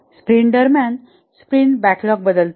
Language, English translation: Marathi, This is called as a sprint backlog